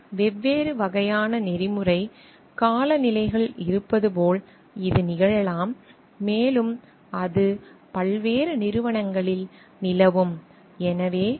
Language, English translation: Tamil, It may so happen like there are different types of ethical climate, and with like that may prevail in different organizations